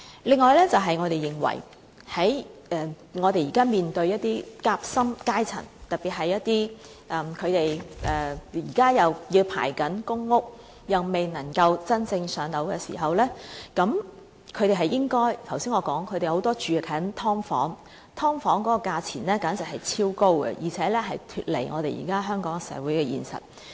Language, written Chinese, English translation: Cantonese, 此外，我們認為現時"夾心階層"面對的問題，特別是他們現正輪候公屋，又未能真正"上樓"時，正如我剛才所說，他們很多人還居住在"劏房"裏，而"劏房"的租金價錢簡直超高，脫離了香港社會的現實。, Furthermore we can appreciate the problems faced by the sandwich class in particular those who are still waiting for public housing units . As I have said just now may people are living in sub - divided units but the rents of sub - divided units are unrealistically extremely high